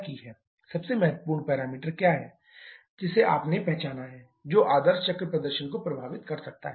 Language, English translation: Hindi, What is the most important parameter that you have identified that can affect the ideal cycle performance